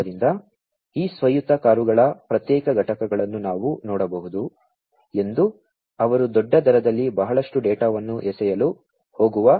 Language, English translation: Kannada, So, as we can see that individual components of these autonomous cars, they are going to throw in lot of data at huge rates, right